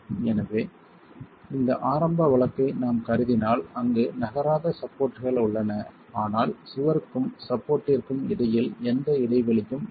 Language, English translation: Tamil, So, if we were to assume this initial case where the non moving supports are present but there is no gap that exists between the wall and the support